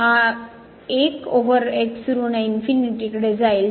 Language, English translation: Marathi, This 1 over will approach to minus infinity